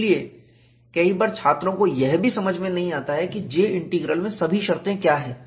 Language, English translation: Hindi, So, many times, students do not even understand, what are all the terms in a J Integral; it is taken care of by the software